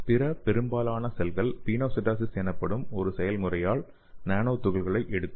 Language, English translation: Tamil, And almost all the cells can internalize nanoparticle by pinocytosis okay